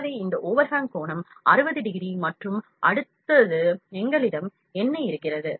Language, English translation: Tamil, So, this overhang angle is 60 degrees and next what we have here